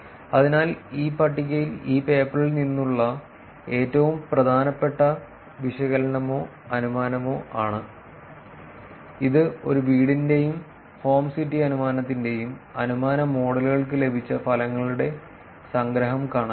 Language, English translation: Malayalam, So, this table is the most important analysis or inference from this paper which is to see the summary of results obtained for inference models for a home and home city inference